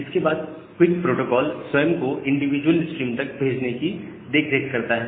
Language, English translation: Hindi, And then the streams take cares of the QUIC protocol itself takes care of sending the packet to the individual streams